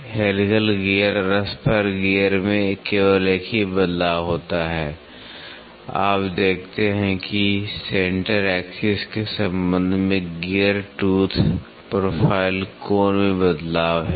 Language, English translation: Hindi, Helical gear and Spur gear there is only one change, you see there is a change in the gear tooth profile angle with respect to the centre axis